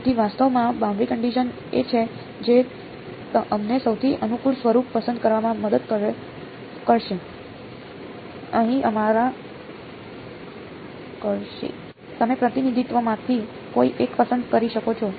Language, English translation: Gujarati, So, boundary conditions are actually what will help us to choose which is the most convenient form, you can choose either representation